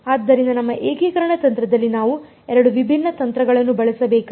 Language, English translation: Kannada, So, therefore, in our integration strategy we have to use 2 different techniques